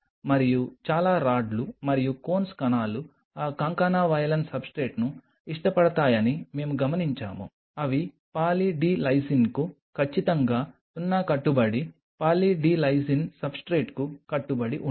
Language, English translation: Telugu, And we observed that most of the rods and cones cells prefer that concana valine substrate, they do not at all adhere on Poly D Lysine absolutely 0 adherence to Poly D Lysine substrate